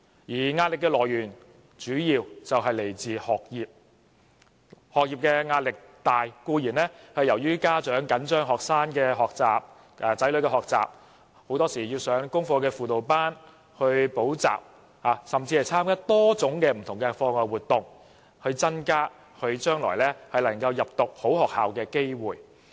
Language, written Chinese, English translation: Cantonese, 學生的壓力主要來自學業；學業壓力大，固然是由於家長緊張子女的學習，很多時要他們上功課輔導班或補習，甚至參加多種不同課外活動，以增加他們將來入讀好學校的機會。, For students their major source of stress must be their studies . Academic pressures are created when the parents are too uptight about their childrens studies say they make their children attend tutorial classes or participate in different extra - curricular activities to increase their chance of getting into a good school